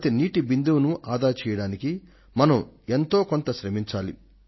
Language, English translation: Telugu, We should make every effort to conserve every single drop of water